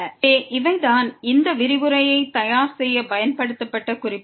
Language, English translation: Tamil, So, these are the references used for preparing this lecture